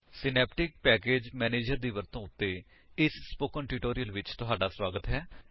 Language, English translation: Punjabi, Welcome to this spoken tutorial on how to use Synaptic package manager